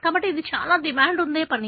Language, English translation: Telugu, So, that is a verydemanding task